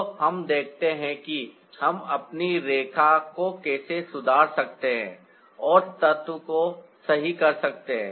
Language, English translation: Hindi, so ah, let's see how we can improvise our line and get the element right now